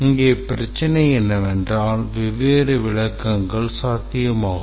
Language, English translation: Tamil, The problem is that different interpretations are possible